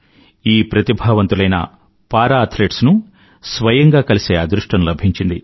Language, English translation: Telugu, I was fortunate to get an opportunity to meet all these talented athletes personally